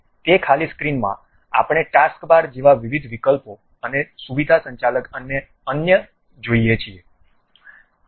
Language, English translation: Gujarati, In that blank screen, we see variety of options like taskbar, and something like feature feature manager and the other things